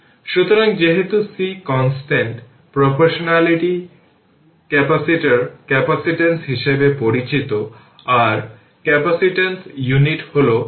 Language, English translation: Bengali, So, as c is constant of proportionality is known as capacitance of the capacitor right